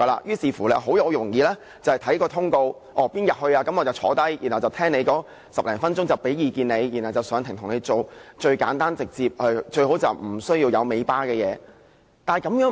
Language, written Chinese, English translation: Cantonese, 於是，很容易便會看通告，哪天要當值便出席與申請人會面10多分鐘，提供意見，然後上庭為他辯護，最簡單直接，最好不需要有"尾巴"的案件。, Therefore they will tend to check their rosters . On the day of duty they will meet with an applicant for some 10 minutes offer advice and defend him in court . Simple and straightforward cases without any follow - up work are the most welcome